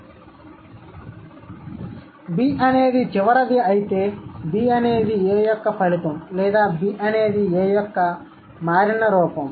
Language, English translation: Telugu, If B is final, so B is the result of A or B is the changed form of A